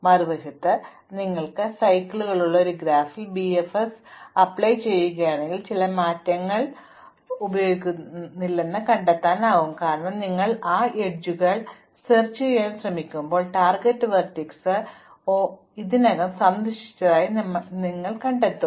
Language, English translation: Malayalam, On the other hand, if you run BFS on a graph which has cycles then you will find that some edges are not used, because when you try to explore those edges, you find that target vertex is already visited